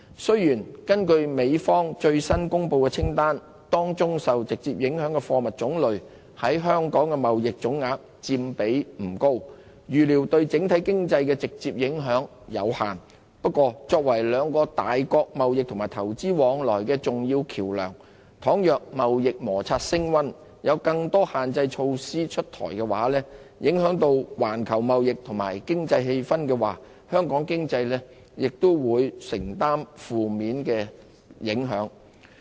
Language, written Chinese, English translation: Cantonese, 雖然，根據美方最新公布的清單，當中受直接影響的貨物種類在香港的貿易總額佔比不高，預料對整體經濟的直接影響有限。不過，香港作為兩個大國貿易及投資往來的重要橋樑，倘若貿易摩擦升溫，有更多限制措施出台，影響到環球貿易及經濟氣氛的話，香港經濟也會承受負面影響。, Although according to the latest list from the United States the types of goods being hit accounted for only a small share of the total trade of Hong Kong and the direct impact of which on the overall economy is expected to be limited Hong Kong―being an important link of trade and investments between the two powers―will suffer negative consequences on its economy if the trade friction escalates with the imposition of more restrictive measures taking its toll on global trade and economic sentiment